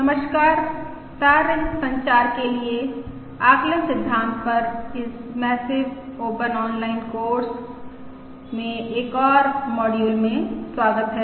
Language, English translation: Hindi, Hello, welcome to another module in this massive open online course on estimation for wireless complications